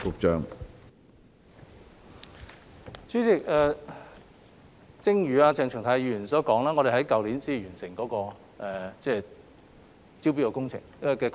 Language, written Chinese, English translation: Cantonese, 主席，正如鄭松泰議員所說，我們在去年才完成招標的工作。, President as mentioned by Dr CHENG Chung - tai we just finished the tendering exercise last year